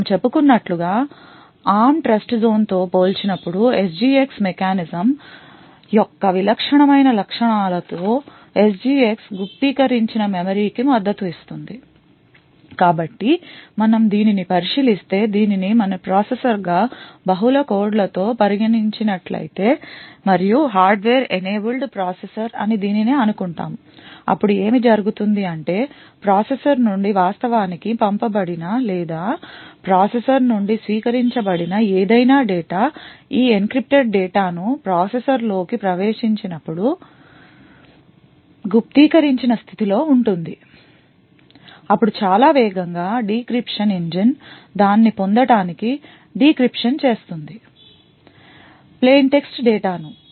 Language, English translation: Telugu, So as we mentioned one of the distinctive features of the SGX mechanism compare to the ARM Trustzone is that SGX supports encrypted memory so if we look at this so if we consider this as our processor with the multiple codes and so on and we assume that this is a hardware enabled processor then what happens is that any data which is actually sent out of the processor or received from the processor is in an encrypted state when this encrypted data enters into the processor then a very fast decryption engine would decryption it to get the plain text data